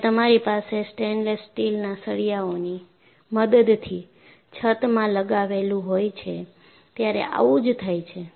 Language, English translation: Gujarati, So, that is what happen, when you have a roof supported by stainless steel rods